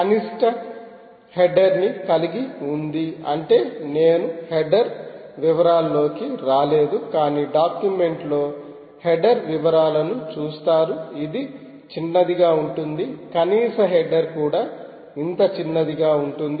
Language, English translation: Telugu, minimum header means i am not got into the header detail, but if you go through the document you will see the header ah detail